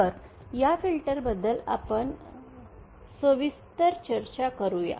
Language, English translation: Marathi, So let us discuss these filters in detail